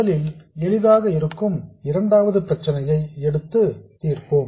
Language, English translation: Tamil, We will take the easier one first, which is the second one